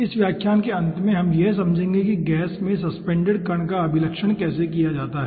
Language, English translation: Hindi, at the end of this lecture we will be understanding how to characterize a particle suspended in a gas